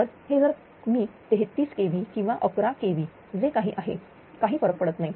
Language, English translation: Marathi, So, if I take 33 kv or 11 kv whatsoever right does not matter